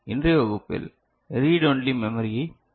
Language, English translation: Tamil, In today’s class, we shall look at Read Only Memory ok